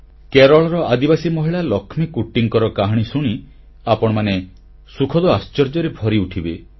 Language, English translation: Odia, You will be pleasantly surprised listening to the story of Keralas tribal lady Lakshmikutti